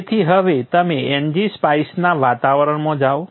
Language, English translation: Gujarati, So now you go into the NG Spice environment